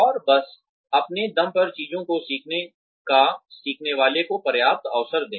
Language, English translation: Hindi, And, but just give the learner, enough opportunity, to learn things on his or her own